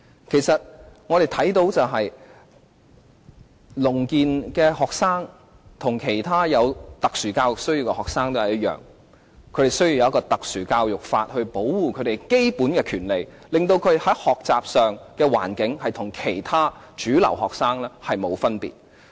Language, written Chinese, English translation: Cantonese, 其實，聾健學生和其他有特殊教育需要的學生一樣，他們需要特殊教育法來保障他們的基本權利，令他們的學習環境與其他主流學生沒有分別。, Actually like other students with special education needs deaf students likewise need the enactment of special education legislation to protect their fundamental rights so that they can learn in an environment no different from that of mainstream students